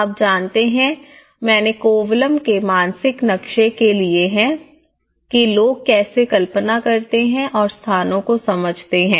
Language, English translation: Hindi, You know, Kovalam I have taken the mental maps of how people imagined and understand the places